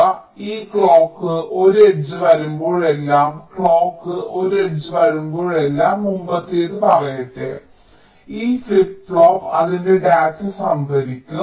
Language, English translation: Malayalam, so whenever this clock one h come, lets say the previous one, whenever the clock one h comes, this, this flip flop, will be storing its data